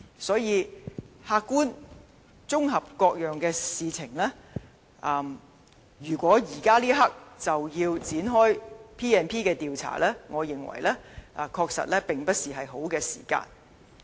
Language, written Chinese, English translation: Cantonese, 所以，客觀綜合各件事，如果現階段便要引用《立法會條例》展開調查，我認為確實並非適當時間。, After considering all these factors objectively I believe it is not an appropriate time to invoke the PP Ordinance to commence an investigation at this stage